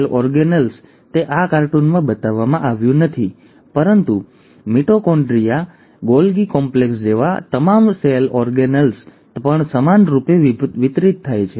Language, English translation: Gujarati, The cell organelles, it is not shown in this cartoon, but all the cell organelles like the mitochondria, the Golgi complex also gets equally distributed